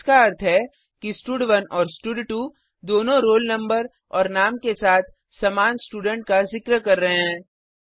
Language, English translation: Hindi, That means both stud1 and stud2 are referring to the same student with a roll number and name